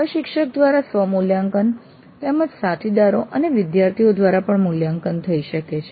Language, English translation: Gujarati, The evaluation can be self evaluation by the instructor as well as by peers and students